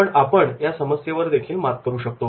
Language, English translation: Marathi, But we can overcome this particular problem